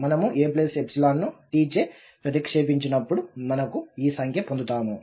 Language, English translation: Telugu, When we substitute a plus epsilon for this t, we are getting this number here